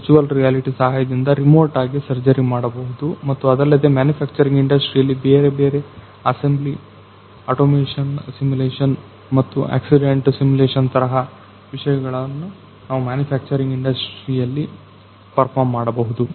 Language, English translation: Kannada, So, remote kind of surgery you can perform with the help of virtual reality and apart from that in manufacturing industry different assembly automation simulation and how to accidents accident simulation kind of thing we can perform in the manufacturing industry